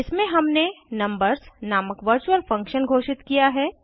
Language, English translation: Hindi, In this we have declared a virtual function named numbers